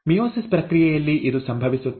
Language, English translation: Kannada, This is what happens in the process of meiosis